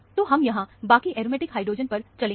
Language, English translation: Hindi, So, we will move to the rest of the aromatic hydrogens, here